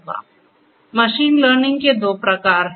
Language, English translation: Hindi, So, there are two types of machine learning